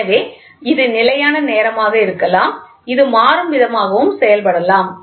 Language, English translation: Tamil, So, it can be times statically, it can also be done dynamically